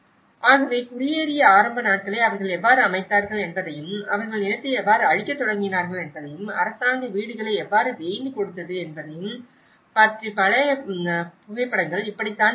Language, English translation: Tamil, So, this is how the very old photographs of how they set up the initial days of the settling down and how they started clearing the land and how the government have built them thatched housing